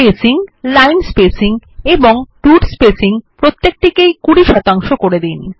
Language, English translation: Bengali, Let us change the spacing, line spacing and root spacing each to 20 percent